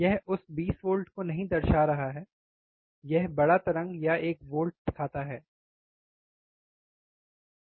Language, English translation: Hindi, That is why it does not represent that 20 volts is it looks bigger waveform or one volts which smaller both look same